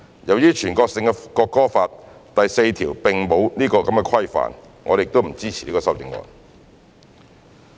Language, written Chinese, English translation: Cantonese, 由於全國性的《國歌法》第四條並沒有此規範，我們不支持此修正案。, Since Article 4 of the National Anthem Law a national law does not impose this restriction we do not support this amendment